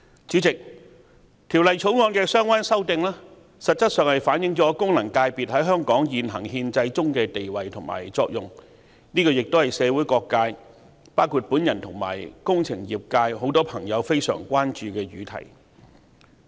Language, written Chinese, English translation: Cantonese, 主席，《條例草案》的相關修訂實質上反映了功能界別在香港現行憲制中的地位和作用，亦是社會各界包括我和工程業界人士均非常關注的議題。, President the relevant amendments in the Bill have essentially reflected the status and functions of FCs in the existing constitutional system of Hong Kong which are also issues of considerable concern to various sectors of the community including members of the engineering sector and me